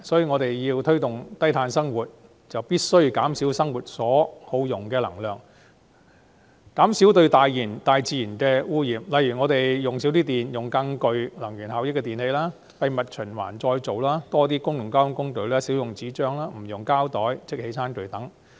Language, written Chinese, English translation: Cantonese, 我們如要推動低碳生活，便必須減少生活所耗用的能量，減少對大自然的污染，例如減少用電、使用更具能源效益的電器、將廢物循環再造、多使用公共交通工具、少用紙張、不用膠袋和即棄餐具等。, In order to promote a low - carbon style of living we must reduce energy consumption in daily life and reduce environmental pollution such as using less electricity using more energy efficient electrical appliances recycling waste taking public transport more often using less paper and stop using plastic bags and disposable tableware